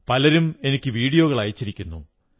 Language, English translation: Malayalam, Many have sent me the videos of their work in this field